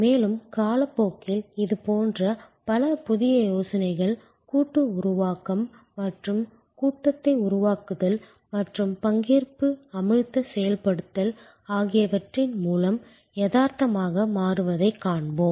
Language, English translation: Tamil, And over time we will see many such new ideas taking shape becoming reality through the power of co creation and crowd sourcing of idea and participatory immersive implementation